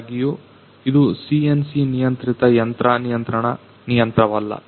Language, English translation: Kannada, However, since this is not a CNC controlled machine control machine